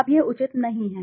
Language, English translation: Hindi, Now this is not proper